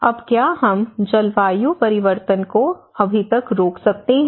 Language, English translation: Hindi, Now, can we stop climate change just as of now